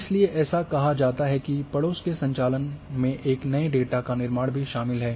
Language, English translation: Hindi, This is what it is says the neighbourhood operations involve the creation of new data